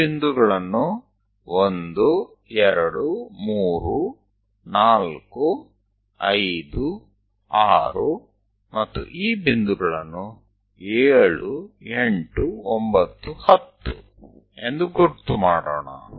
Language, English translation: Kannada, Let us label them this point is 1, 2, 3, 4, 5, 6, this 7, 8, 9, 10 points